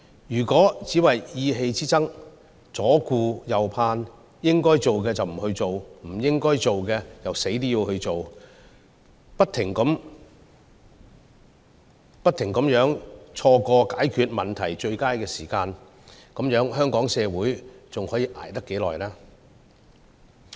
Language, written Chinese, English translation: Cantonese, 如果政府只為意氣之爭、左顧右盼，應該做的不去做，不應該做的卻怎樣也要做，不斷錯過解決問題的最佳時機，這樣香港社會還可以捱多久？, If the Government only engages in emotional arguments and hesitates in decision - making or if it fails to do things it should and insists on doing what it should not do or if it always misses the best timing to solve problems it is hard to tell how long Hong Kong can sustain